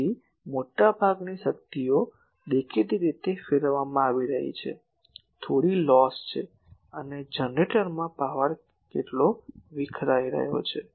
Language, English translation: Gujarati, So, most of the power is being radiated obviously, some loss is there and what is power dissipated in the generator